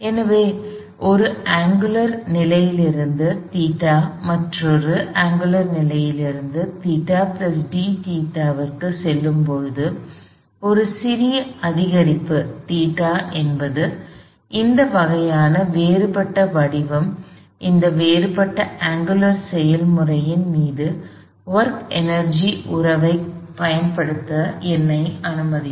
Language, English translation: Tamil, So, at going from some angular position theta to another angular position theta plus d theta, a small incremental theta would allow me… This kind of a differential form will allow me to apply work energy relationship over that differential angular process